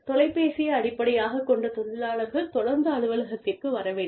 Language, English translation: Tamil, Have phone based workers, come into the office, on a regular basis